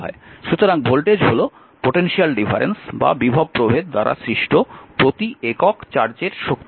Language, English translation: Bengali, So, voltage is the energy per unit charge created by the separation